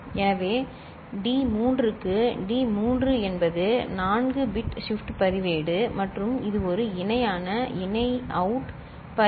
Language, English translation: Tamil, So, D naught to D3 is a 4 bit shift register and this one is a parallel in parallel out register ok